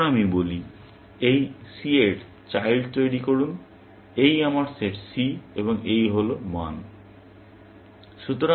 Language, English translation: Bengali, Then, I say, generate the children of this c; this is my set c, and this is the values